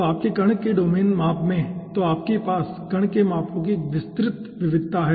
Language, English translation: Hindi, so in your domain size of the particle, okay, so you are having a wide variety of particle sizes